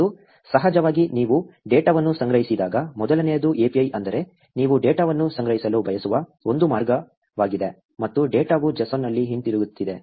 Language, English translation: Kannada, And, of course when you collect the data, so first is API which is a way by which you want to collect the data, and the data is coming back in JSON